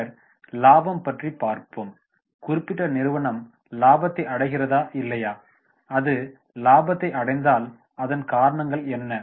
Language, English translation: Tamil, Then profitability, is the particular company going into profit and not and if it is going into the profit what are the reasons